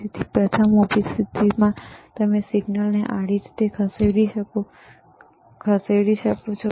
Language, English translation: Gujarati, So, vertical position you can move the signal horizontal